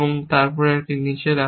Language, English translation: Bengali, Then, put down a